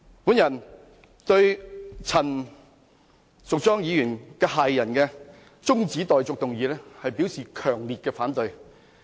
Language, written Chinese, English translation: Cantonese, 我對陳淑莊議員駭人的中止待續議案，表示強烈反對。, I strongly oppose the appalling motion moved by Ms Tanya CHAN